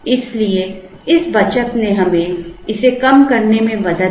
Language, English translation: Hindi, So, that saving helped us in reducing this considerably